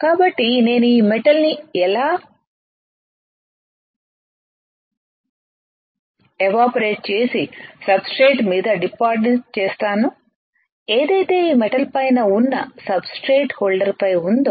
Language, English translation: Telugu, So, how can I evaporate this metal and deposit on the substrate which is on the top of this metal on the substrate holder